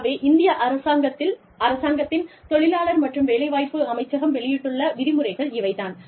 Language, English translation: Tamil, So, this is, The Ministry of Labor and Employment, Government of India